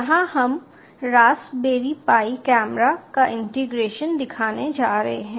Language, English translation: Hindi, here we are just going to show integration of raspberry pi camera